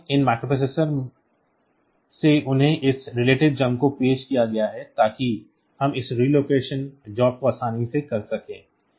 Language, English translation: Hindi, So, these processors they have got this relative jumps introduced so, that we can we can do this relocation jobs easily